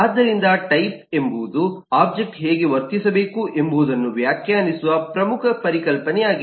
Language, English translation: Kannada, so type is the core concept which defines how should an object behave